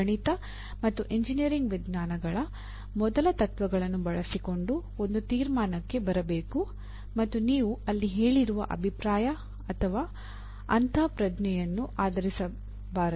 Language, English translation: Kannada, The substantiated conclusion should be arrived using first principles of mathematics and engineering sciences and not based on the opinion or intuition which you have just stated there